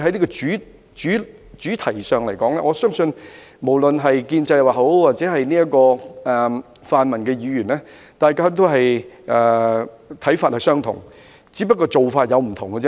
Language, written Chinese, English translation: Cantonese, 在這項主題上，我相信無論是建制派或泛民議員，大家的看法也相同，只是做法不同。, On this topic I believe Members of both the pro - establishment camp and the pan - democratic camp share the same view though the approach may be different